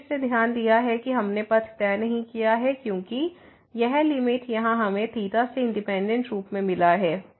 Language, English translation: Hindi, We have again note that we have not fixed the path because this limit here, we got independently of theta